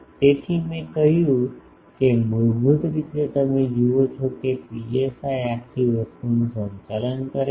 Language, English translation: Gujarati, So, I said that basically you see this psi is governing the whole thing